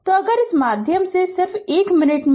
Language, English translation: Hindi, So, if you go through this right just 1 minute